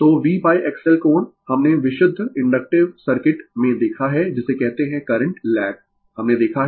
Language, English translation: Hindi, So, V upon X L angle minus we have seen in the pure inductive circuit your what you call current lag we have seen it